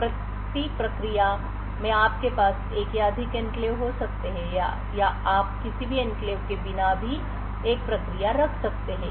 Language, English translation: Hindi, So, per process you could have one or more enclaves or you could also have a process without any enclaves as well